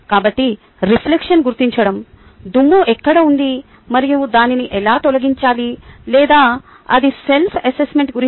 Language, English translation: Telugu, so reflection is identifying where is a dust and how to remove it, or it is about self assessment